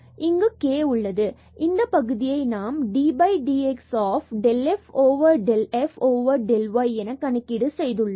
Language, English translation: Tamil, So, del over del y and we have just because this was del over del x on f and this del over del y on f